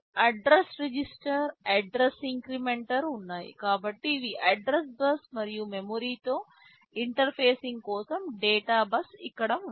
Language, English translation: Telugu, There is an address register, address inmcrplementer, so these are the address bus and here is the data bus for interfacing with memory